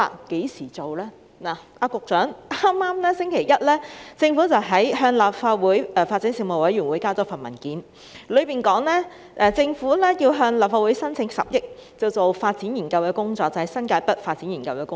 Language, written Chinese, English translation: Cantonese, 局長，在剛過去的星期一，政府向立法會發展事務委員會提交一份文件，當中提到政府要向立法會申請10億元進行新界北發展研究的工作。, Secretary on the preceding Monday the Government submitted a paper to the Legislative Council Panel on Development seeking a funding of 1 billion from the Legislative Council for undertaking studies for the development of New Territories North